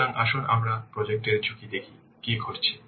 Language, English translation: Bengali, So let's see in the project risk what is happening